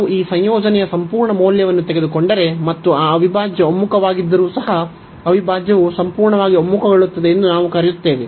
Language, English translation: Kannada, So, if you if we take the absolute value of this integrand, and even though that integral converges we call that the integral converges absolutely